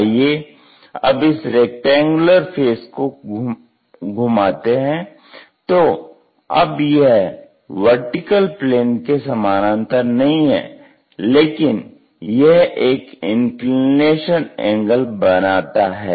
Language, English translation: Hindi, Let us rotate this rectangular face not parallel to vertical plane, but it makes an inclination angle